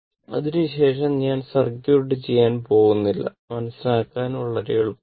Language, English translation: Malayalam, After that, I am not going to circuit; very easy to understand